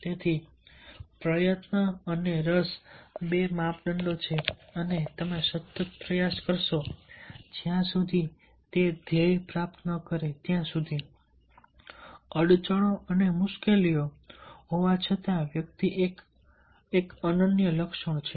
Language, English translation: Gujarati, so effort and interest are two parameters and consistently you will put an effort till achieves the goal, despite the setbacks and hardships, is a unique personality trait